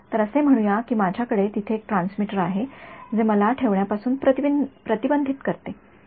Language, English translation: Marathi, So, let us say I have one transmitter over here, what prevents me from putting